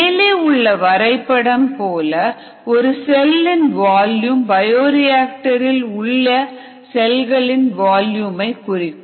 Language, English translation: Tamil, ok, so the volume of the cell equals the volume of all the cells in the bioreactor